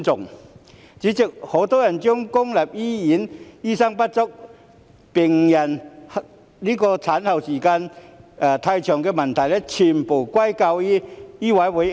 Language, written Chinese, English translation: Cantonese, 代理主席，很多人將公立醫院醫生不足、病人候診時間過長的問題，全部歸咎於醫委會。, Deputy President many people put all the blame on MCHK for the shortage of doctors in public hospitals and the overly long waiting time for patients